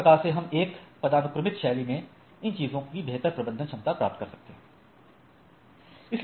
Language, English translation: Hindi, In other way we can have a better manageability of the things in a hierarchical fashion right